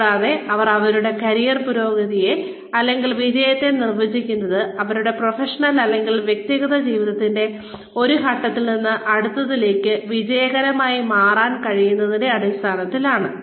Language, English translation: Malayalam, And, they define their career progression, in terms of, or, success in terms of, being able to move from, one stage of their professional or personal lives, to the next, as success